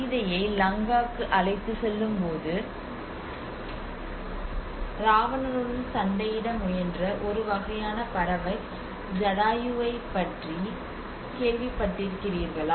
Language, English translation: Tamil, Have you heard about Jatayu which is a kind of bird which protected tried to fight with Ravana when he was carrying Sita to Lanka